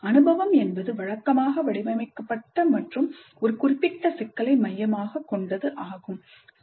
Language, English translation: Tamil, So the experience is usually framed and centered around a specific problem